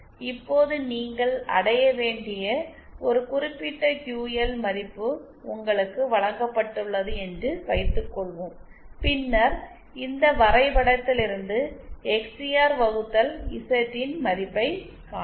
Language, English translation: Tamil, Now suppose you have been given a certain QL value that you have to achieve, then you can find the value of this XCR upon Z0 from this graph